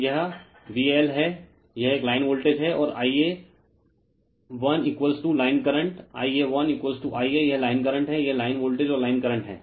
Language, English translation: Hindi, So, it is V L right, it is a line voltage and I a l is equal to line current I a l is equal to I a it is the line current it is line voltage and line current